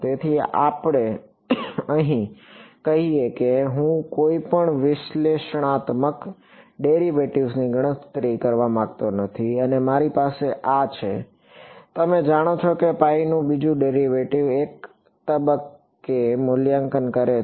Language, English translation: Gujarati, So, here let us say that I do not want to calculate any analytical derivatives and I have this you know second derivative of phi evaluated at one point